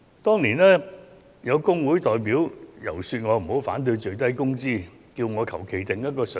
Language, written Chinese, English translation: Cantonese, 當年曾有工會代表遊說我不要反對法定最低工資，並請我隨意訂定一個水平。, Back in that year some trade union representatives lobbied me to put aside my opposition to a statutory minimum wage